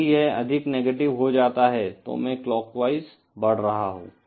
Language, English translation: Hindi, If it becomes more negative, then I am travelling in clockwise direction